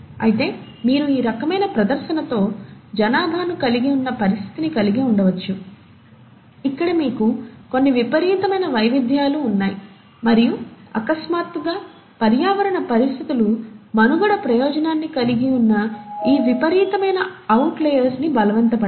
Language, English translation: Telugu, But then, you can have a situation where you still have a population with these kind of display where you have some extreme variations and suddenly, the environmental conditions force in such a fashion that it is this set of extreme outliers which have a survival advantage